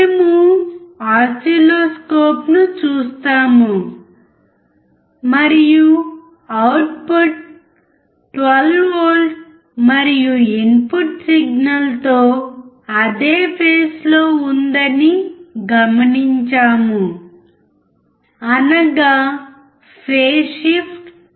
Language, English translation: Telugu, We see the oscilloscope and observe that the output is about 12V and is in phase with the input signal, i